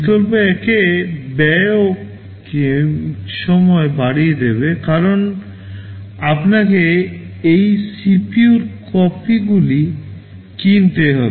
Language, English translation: Bengali, In alternative 1 the cost will also go up k time, because you have to buy k copies of this CPU